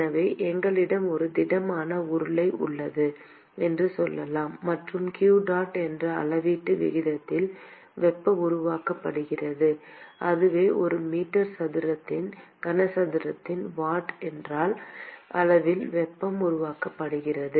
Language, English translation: Tamil, So, let us say that we have a solid cylinder; and there is heat that is being generated at a volumetric rate of q dot that is in watt per meter cube of heat that is being generated